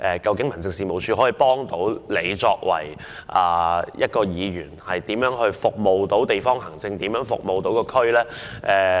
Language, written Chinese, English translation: Cantonese, 究竟民政事務處可以如何協助議員服務當區和處理地方行政呢？, How can the Home Affairs Department HAD assist such Members in serving local communities and handling district administration?